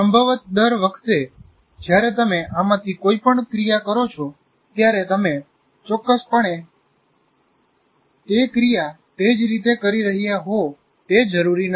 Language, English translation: Gujarati, Possibly each time you do any of these things, you are not necessarily doing exactly the same way